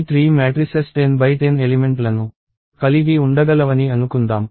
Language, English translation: Telugu, Let us assume that, these three matrices can accommodate up to 10 cross 10 elements